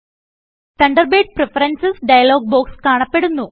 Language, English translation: Malayalam, The Thunderbird Preferences dialog box appears